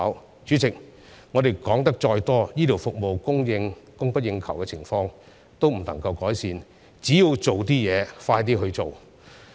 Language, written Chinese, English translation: Cantonese, 代理主席，我們說得再多，醫療服務供不應求的情況也不能夠改善，只有落實工作，加快執行才可成事。, Deputy President no matter how much we have said the shortfall in healthcare services cannot be improved . Only with action and expeditious implementation can the job be done